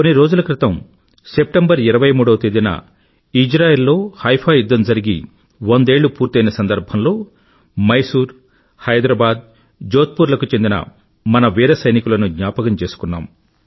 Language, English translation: Telugu, A few days ago, on the 23rd of September, on the occasion of the centenary of the Battle of Haifa in Israel, we remembered & paid tributes to our brave soldiers of Mysore, Hyderabad & Jodhpur Lancers who had freed Haifa from the clutches of oppressors